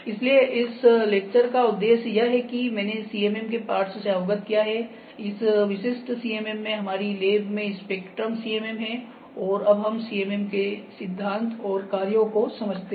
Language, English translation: Hindi, So, objectives I have just put the objectives of this lecture is to familiarize yourself with the parts of CMM, this specific CMM we have spectrum CMM in a laboratory, and understand the principle and working of a CMM ok